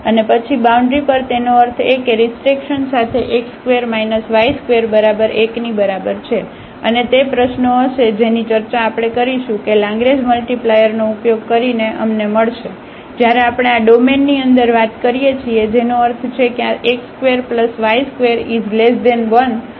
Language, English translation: Gujarati, And then on the boundaries; that means, with the restriction x square plus y square is equal to 1 exactly and that will be the problem which we have discussed that using the Lagrange multiplier we will get; when we are talking inside this domain that means, this x square plus y square is strictly less than 1